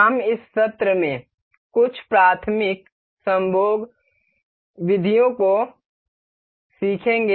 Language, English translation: Hindi, We will learn some elementary mating methods in this session